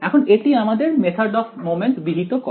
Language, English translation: Bengali, Now, here is what the method of moments prescribes